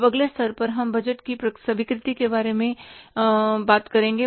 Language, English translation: Hindi, Now, next level we will talk about is something about the acceptance of the budget